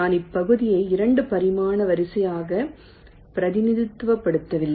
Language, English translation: Tamil, i am not representing the area as a two dimensional array any more